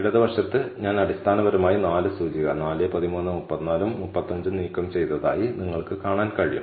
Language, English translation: Malayalam, So, on the left you can see, that I have removed the 4 index basically, 4 13 34 and 35